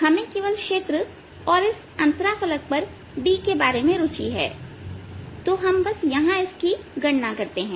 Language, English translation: Hindi, we are only interested in field and d at this interface, so we just calculate it here